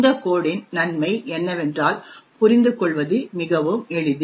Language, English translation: Tamil, The advantage of this code is that it is very simple to understand